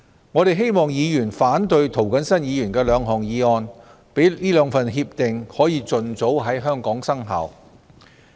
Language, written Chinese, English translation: Cantonese, 我希望議員反對涂謹申議員的兩項議案，讓該兩份協定盡早在香港生效。, I hope that Members will oppose the two motions proposed by Mr James TO so as to enable those two agreements to expeditiously come into effect in Hong Kong